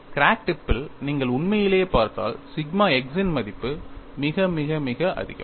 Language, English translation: Tamil, See if you look at really at the crack tip, the value of sigma x is very high